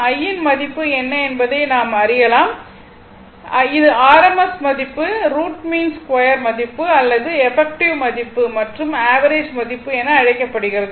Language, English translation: Tamil, So, this way you can find out that what is the value of your what you call I value and this is called your r m s value, root mean square value or effective value and average value sometimes we call mean value right